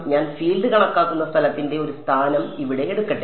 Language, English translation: Malayalam, Let me take one position over here of the where I am calculating the field